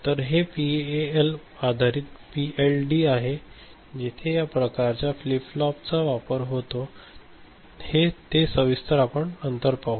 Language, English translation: Marathi, So, that is PAL based PLD with this kind of you know flip flops involved which we shall see later